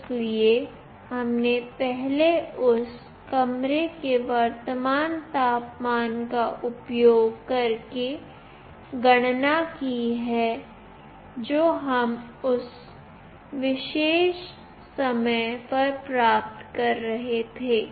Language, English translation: Hindi, So, we have earlier calculated this using the current temperature of the room that we were getting at that particular time